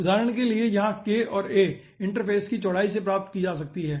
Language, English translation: Hindi, here k and a can be found out from the interface width